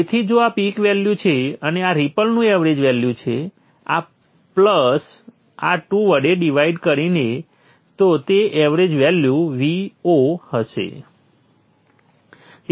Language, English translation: Gujarati, So if this is the peak value and this is the main value of the ripple, this plus this divided by 2, the average value will be V0